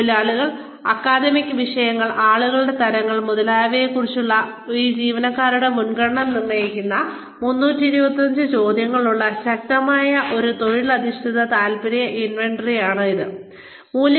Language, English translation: Malayalam, It has a strong vocational interest inventory, which has 325 questions, that determine the preference, of these employees, about occupations, academic subjects, types of people, etcetera